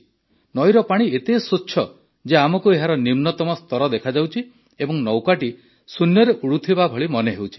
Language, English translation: Odia, The water of the river is so clear that we can see its bed and the boat seems to be floating in the air